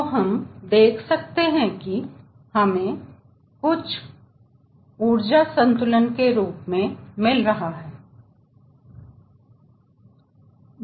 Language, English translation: Hindi, so you see, we are getting some sort of a balance of energy